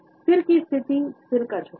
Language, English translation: Hindi, Head positioning, head tilt